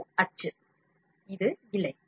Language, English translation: Tamil, This is print, this is filament